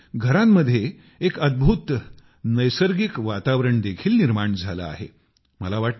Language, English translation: Marathi, This has led to creating a wonderful natural environment in the houses